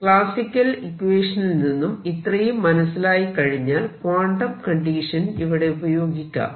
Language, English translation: Malayalam, So, once that is clear from the classical equation of motion we are ready to apply our quantum conditions